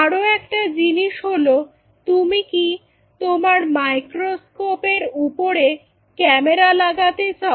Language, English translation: Bengali, Do you want a camera on top of your microscope